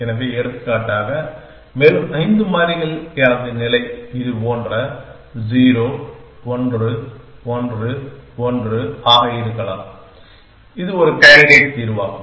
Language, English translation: Tamil, So, for example, further 5 variables my state could be something like this one 0, 1, 1, 1 and it is a candidate solution